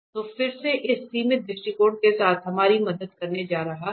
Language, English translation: Hindi, So, again with the, this limiting approach is going to help us